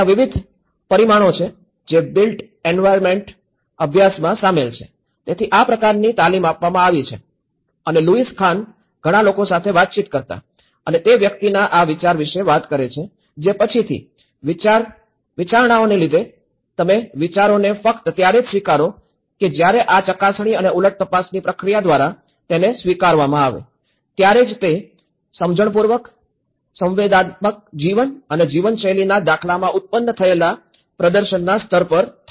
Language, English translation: Gujarati, There are various dimensions which are involved in the built environment studies, so that is where this kind of training has been followed upon and Louis Khan talks about this idea of an individual communicating to several individuals who after due deliberations, accept the ideas only when these are found acceptable through the process of checks and counter checks over a period of time intelligently, sensually and the level of performance they generate in patterns of life and living